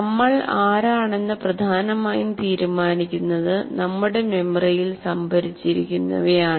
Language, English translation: Malayalam, Who we are is essentially decided by what is stored in our memory